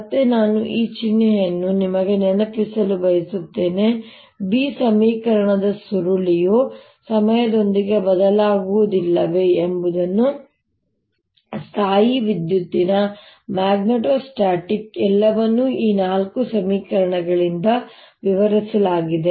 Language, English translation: Kannada, again, i want to remind you this minus sign, the curl of b equation, whether they are changing with the time, not changing with time, electrostatic, magnetostatic, everything is described by these four equations